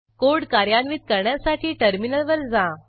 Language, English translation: Marathi, To execute the code, go to the terminal